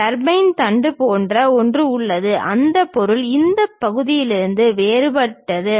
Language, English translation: Tamil, There is something like turbine shaft, that material is different from this part